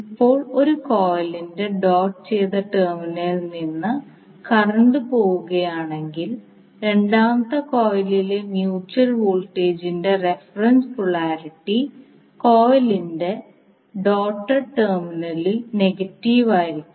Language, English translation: Malayalam, Now if the current leaves the doted terminal of one coil the reference polarity of the mutual voltage in the second coil is negative at the doted terminal of the coil